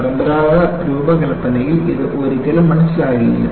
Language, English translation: Malayalam, See, this was never understood in conventional design